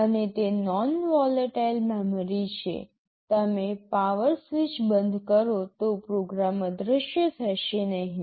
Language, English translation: Gujarati, And it is a non volatile memory, even you switch off the power the program will not disappear